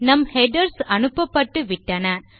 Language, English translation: Tamil, Okay so our headers have already been sent